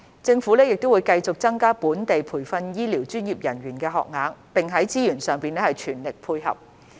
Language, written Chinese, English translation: Cantonese, 政府亦會繼續增加本地培訓醫療專業人員的學額，並在資源上全力配合。, The Government will also continue to increase the training places for local healthcare professionals and will provide all resources needed